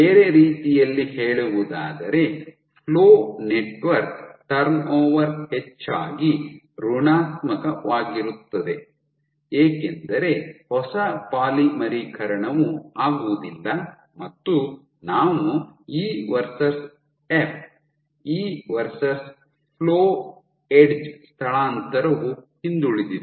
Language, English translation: Kannada, In other words, edge, your flow network turnover is mostly negative because there is no new polymerization this is negative and, we are plotting E versus F, E versus flow edge displacement is backward